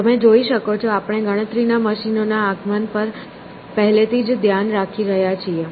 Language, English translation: Gujarati, So, you can see, we are already looking at advent of calculating machines